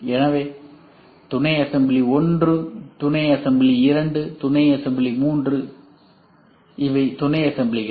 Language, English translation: Tamil, So, this is sub assembly 1, sub assembly 2, sub assembly 3 so these are sub assemblies